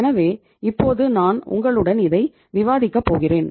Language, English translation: Tamil, So now I will discuss with you